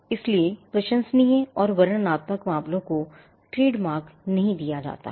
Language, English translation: Hindi, So, laudatory and descriptive matters are not granted trademark